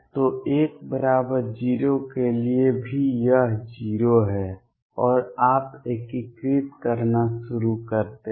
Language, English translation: Hindi, So, even for l equals 0 it is 0 and you start integrating out